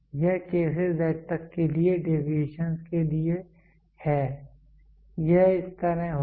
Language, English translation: Hindi, This is for deviations for K to Z it will be like this